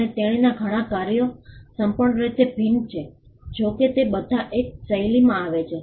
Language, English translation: Gujarati, And almost all her works are entirely different though they all fall within the same genre